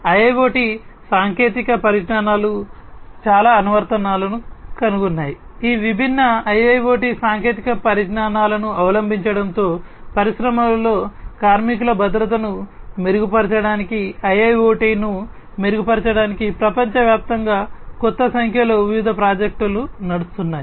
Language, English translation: Telugu, IIoT technologies have found lot of applications there are new number of different projects that are running on you know worldwide to improve IIoT to improve worker safety in the industries with the adoption of these different IIoT technologies